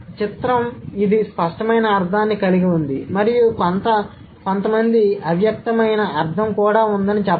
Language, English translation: Telugu, So, picture, it has an explicit meaning and some people say there has been some implicit meaning too